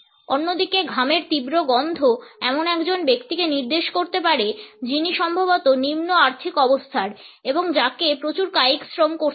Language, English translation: Bengali, On the other hand, there is strong odor of sweat can indicate a person who is perhaps from a lower financial status and who has to indulge in a lot of manual labor